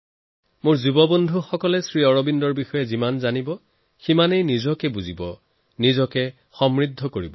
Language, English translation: Assamese, The more my young friends learn about SriAurobindo, greater will they learn about themselves, enriching themselves